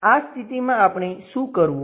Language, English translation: Gujarati, In that case what we have to do